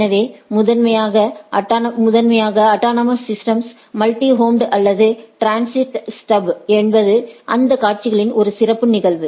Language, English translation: Tamil, So, primarily the autonomous systems are multi homed or transit stub is a special case of those scenarios